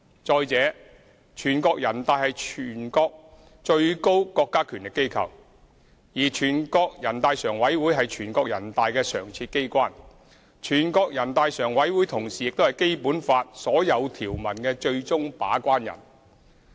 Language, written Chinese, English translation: Cantonese, 再者，全國人大是全國最高國家權力機關，全國人大常委會則是全國人大的常設機關，同時亦是《基本法》所有條文的最終把關人。, Moreover the National Peoples Congress NPC is the highest organ of state power whereas NPCSC is a permanent body of NPC and also the final gatekeeper of all provisions of the Basic Law